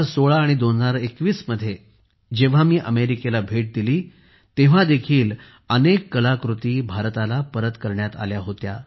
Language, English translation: Marathi, Even when I visited America in 2016 and 2021, many artefacts were returned to India